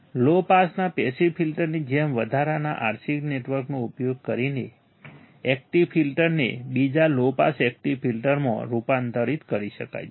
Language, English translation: Gujarati, As with passive filter of first low pass, active filter can be converted into second low pass active filter by using additional RC network